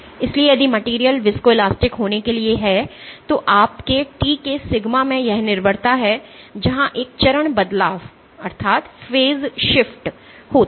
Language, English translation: Hindi, So, if for the material to be viscoelastic, your sigma of t has this dependence where there is a phase shift